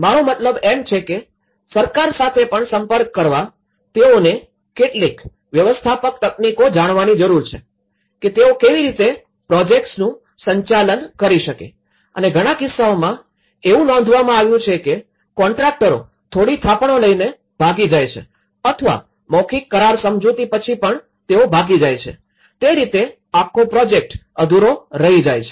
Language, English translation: Gujarati, I mean in contact with the government also, they need to know some the managerial techniques of how they can manage the projects themselves and in many cases, it has been noted that contractors run away with some basic deposits and maybe having a small verbal agreements with the owners and they run away so, in that way the whole project leave left incomplete